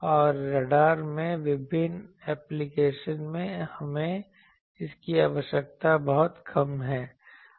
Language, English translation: Hindi, And in radars, in various applications, we require it to be much lower